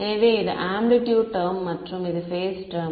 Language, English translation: Tamil, So, this is the amplitude term and this is the phase term